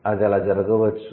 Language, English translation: Telugu, That could be possible